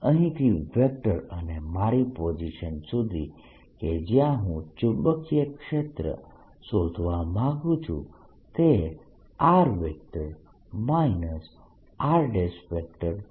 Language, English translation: Gujarati, the vector from this to my position, where i want to find the magnetic field, is r minus r prime